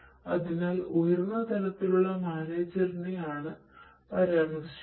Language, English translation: Malayalam, So, manager at a high level I am mentioning